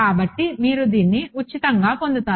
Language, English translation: Telugu, So, you get it for free